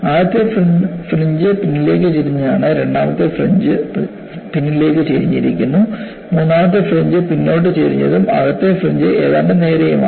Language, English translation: Malayalam, The first fringe is backward tilted; the second fringe is also backward tilted; the third fringe is forward tilted and the inner fringe is almost straight